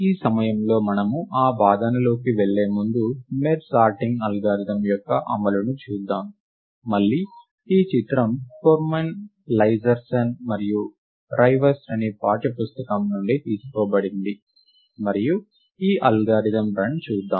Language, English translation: Telugu, At this point of time, before we go into that argument, let us just look at the execution of the merge sort algorithm, and again this image is taken from the text book cor by Cormen Leiserson and Rivest, and let us look at the run of this algorithm